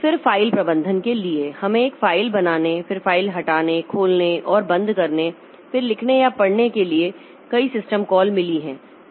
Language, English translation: Hindi, Then for file management we have got a number of system calls like the creating a file, then deleting a file, open and close files, then read write or reposition